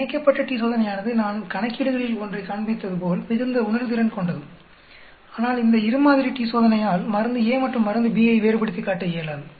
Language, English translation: Tamil, Paired t Test is quite sensitive as I showed in one of the problems, whereas two sample t Test is not able to differentiate between say drug A and drug B